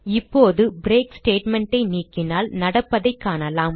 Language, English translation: Tamil, Now let us see what happens if we remove the break statement